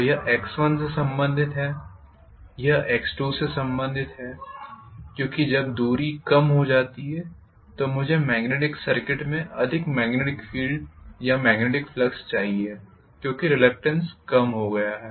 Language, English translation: Hindi, So this is corresponding to x 1 this is corresponding to x 2 because when the distance decreases I should have definitely more magnetic field or more magnetic flux being there in the magnetic circuit for sure because the reluctance has decreased, right